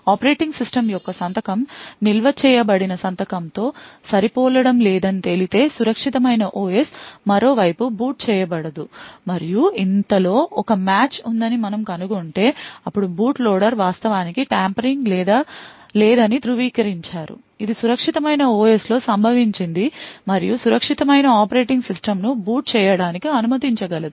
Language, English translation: Telugu, If it is found that signature of the secure operating system does not match the signature which is stored then the secure OS is not booted on the other hand if we find that there is a match then the boot loader would has actually verified that no tampering has occurred on the secure OS and would it could permit the secure operating system to boot